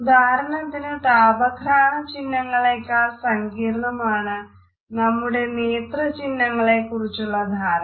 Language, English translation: Malayalam, For example, our understanding of the vision is much more complex in comparison to our understanding of thermal and olfaction inputs